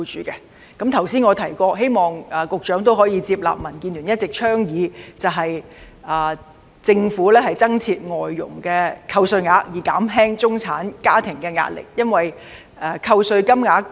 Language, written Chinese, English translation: Cantonese, 我剛才提到，希望局長可以接納民建聯一直的倡議，增設外傭扣稅額以減輕中產家庭的壓力。, Just now I expressed my wish for the Secretary to take on board the suggestion DAB has been advocating and introduce tax deduction for FDH wages with a view to relieving the pressure on middle - class families